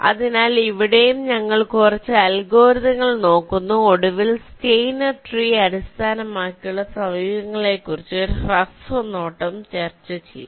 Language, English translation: Malayalam, so here also we shall be looking up a couple of algorithms and finally, a brief look at steiner tree based approaches shall be ah discussed now